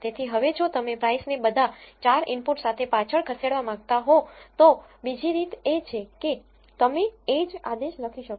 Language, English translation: Gujarati, So now, if you want to say regress price with all the 4 inputs, there is another way you can write the same command